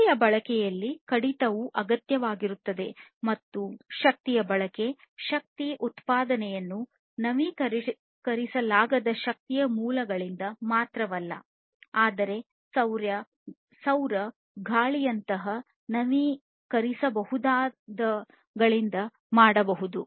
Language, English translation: Kannada, So, reduction in energy consumption is also required and energy consumption, energy production can be done not only from the non renewable sources of energy, but also from the renewable ones like solar, wind, and so on